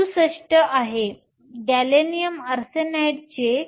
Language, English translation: Marathi, 67, gallium arsenide is 1